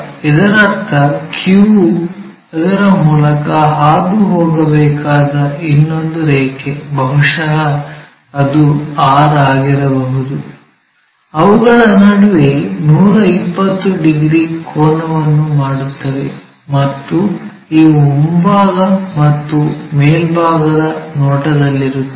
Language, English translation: Kannada, So, there are two lines P and Q these are true ones, and QR also there that means, the other line supposed to pass through Q maybe that is R; they make 120 degrees angle between them and these are in front in the top views